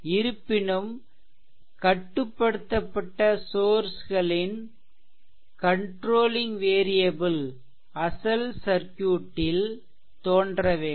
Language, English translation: Tamil, However, restriction is there in the controlling variables for any controlled sources must appear inside the original circuit